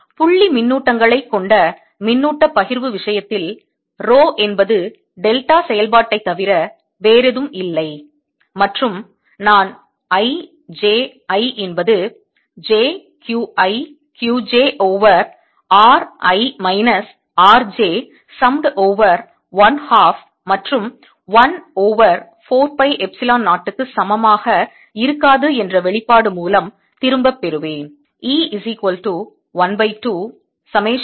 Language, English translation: Tamil, in the case of charge (refer time 15:00), distribution consisting of point charges row goes to nothing but delta function and I will get back by expression i j, i not equal to q i, q j over r minus r, i minus r j, some over one half and 1 over four pi epsilon zero